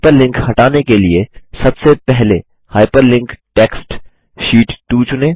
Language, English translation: Hindi, To remove the hyperlink, first select the hyperlinked text Sheet 2